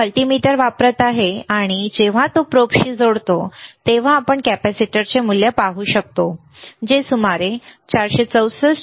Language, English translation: Marathi, He is using the same multimeter, and when he is connecting with the probe, we can see the value of the capacitor which is around 464